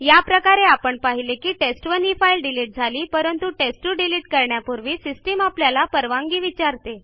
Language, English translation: Marathi, So we saw that while test1 was silently deleted, system asked before deleting test2